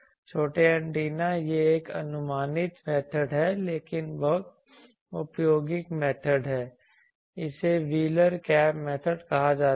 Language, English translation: Hindi, Small antennas it is it is an approximate method but very useful method it is called wheeler cap method